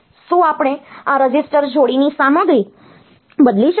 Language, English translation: Gujarati, Can we change the content of this register pair